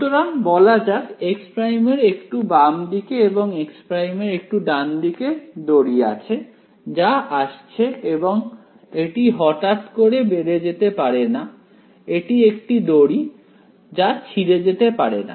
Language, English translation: Bengali, So, let us say just to the left of x prime and just to the right of x prime right there are string that is coming it cannot suddenly shoot up it is a string it cannot break